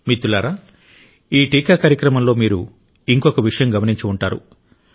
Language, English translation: Telugu, in this vaccination Programme, you must have noticed something more